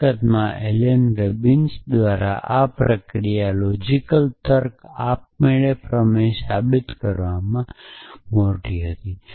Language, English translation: Gujarati, So, in fact, this procedure by Alan Robinson was a big in logical reasoning automatic theorem proving